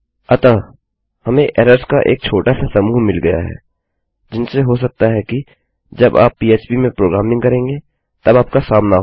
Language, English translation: Hindi, So we have got a small collection of errors that you might come across when you are programming in php